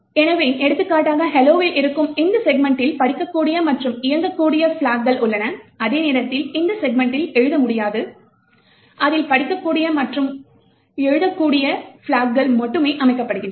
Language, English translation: Tamil, So, for example this particular segment, which is present in hello has the, is readable, writable and executable while they segment cannot be written to, it is only read and write flags are set